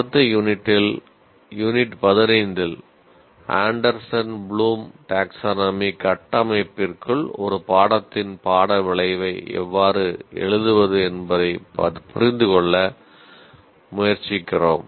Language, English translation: Tamil, And in the next unit, unit 15, we try to understand how to write outcomes of a course within the framework of Anderson Bloom Taxone